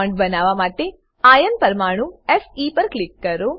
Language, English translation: Gujarati, Click on iron atom to draw a bond